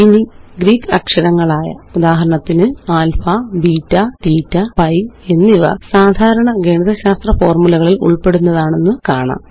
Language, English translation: Malayalam, Now Greek characters, for example, alpha, beta, theta and pi are common in mathematical formulas